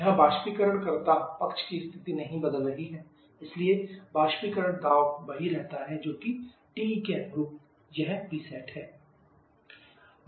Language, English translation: Hindi, Here the evaporator condition is not changing so evaporator pressure is the same which is this one PC at corresponding to TE